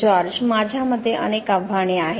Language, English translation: Marathi, I think there are many challenges